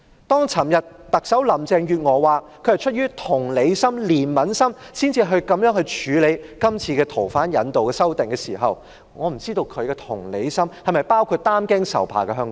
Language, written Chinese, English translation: Cantonese, 當昨天特首林鄭月娥表示她是出於同理心、憐憫心，才會這樣處理有關逃犯引渡的法例的修訂時，我不知道她的同理心是否包括擔驚受怕的香港人？, Chief Executive Carrie LAM said yesterday that she decided to amend the laws on surrender of fugitive offenders out of empathy or compassion but does she have any empathy with frightened Hong Kong people?